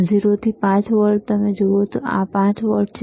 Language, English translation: Gujarati, 0 to 5 volts, you see this is 5 volts only